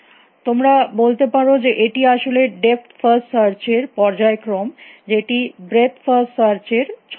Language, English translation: Bengali, You might say that this is actually sequence of depth first searches as a masquerading as a breadth first search